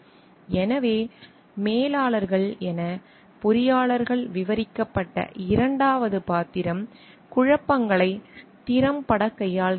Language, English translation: Tamil, So, the second role of described of like the engineers as managers are dealing effectively with conflicts